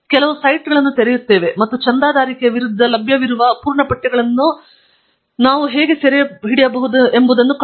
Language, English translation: Kannada, We will open up some of those sites, and then, see how we can capture those full texts that are available against subscription